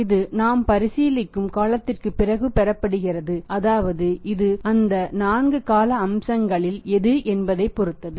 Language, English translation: Tamil, This is going to receive after the period of time which we are considering and these are 4 time periods